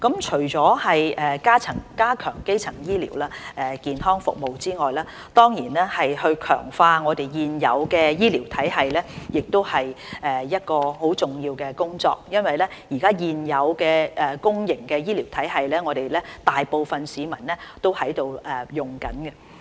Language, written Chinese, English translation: Cantonese, 除了加強基層醫療健康服務，強化現有醫療體系也是一項很重要的工作，因為現有公營醫療體系，現時大部分市民都正在使用。, Apart from strengthening primary healthcare services enhancement of the existing healthcare system is also an important task because the existing public healthcare system is now in use by the public majority